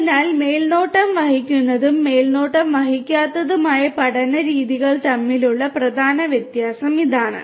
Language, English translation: Malayalam, So, this is the main difference between the supervised and the unsupervised learning methods